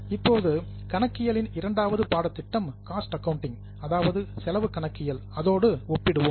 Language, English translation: Tamil, Now let us compare with second stream of accounting that is cost accounting